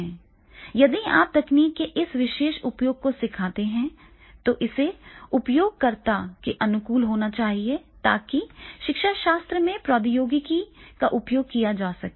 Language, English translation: Hindi, If you teach in this particular use of technology, then definitely you have supposed to be the user friendly for this particular of the, making the use of the technology in the pedagogy